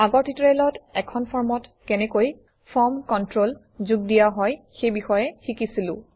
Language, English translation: Assamese, In the last tutorial, we learnt how to add form controls to a form